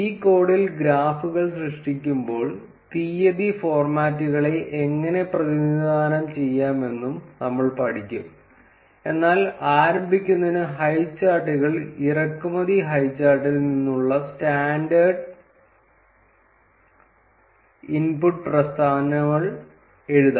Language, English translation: Malayalam, In this code, we will also learn how to represent date formats while creating the graphs, but to start with, let us write the standard inputs statements, which is from highcharts import highchart